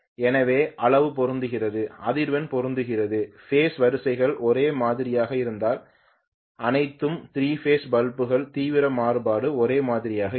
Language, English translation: Tamil, So magnitude is matched, frequency is matched, if the phase sequences are the same the intensity variation of all the 3 phase bulbs will go hand in hand